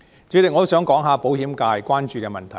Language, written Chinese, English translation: Cantonese, 主席，我想談談保險界關注的問題。, President I would like to talk about issues that are of concern to the insurance sector